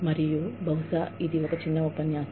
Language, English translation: Telugu, And, maybe, this will be a short lecture